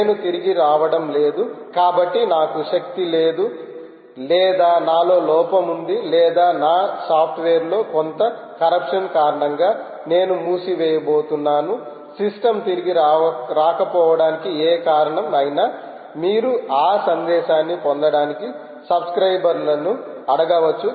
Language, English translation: Telugu, if, since i am not going to come back, i dont have energy perhaps, or there is a malfunction of myself, or i am going to shut down for some corruption in my software, any reason that the system is not going to come back, you can ask all subscribers to get that message